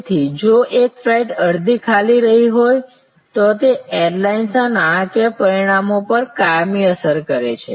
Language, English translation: Gujarati, So, therefore, if one flight has left half empty that is a permanent impact on the financial results of the airlines